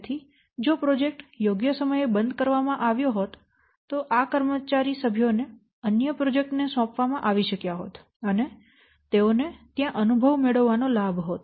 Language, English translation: Gujarati, So if the project could have been, the project could have closed at appropriate time, the staff members could have been what allocated, they could have assigned to some other projects and they could have what gain experience there